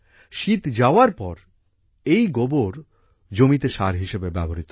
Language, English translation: Bengali, After winters, this cow dung is used as manure in the fields